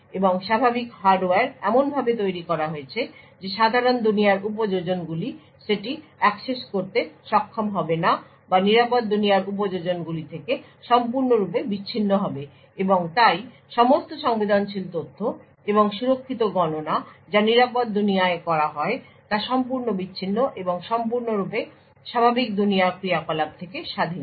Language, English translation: Bengali, I think hardware is built in such a way that the normal world applications will not be able to access or is totally isolated from the secure world applications and therefore all the sensitive information and secure computations which is done in the secure world is completely isolated and completely independent of the normal world operations